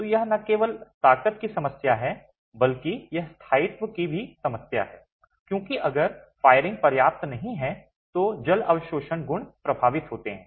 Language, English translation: Hindi, So, it's not only a problem of strength but it's also going to be a problem of durability because water absorption properties are affected if the firing is not adequate